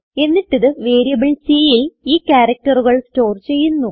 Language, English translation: Malayalam, Then it will store the characters in variable c